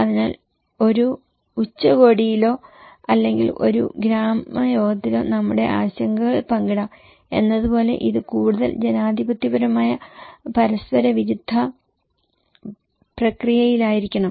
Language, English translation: Malayalam, So, it should be in a more democratic reciprocal process, like we can share our concerns in a summit or maybe in just in a village meeting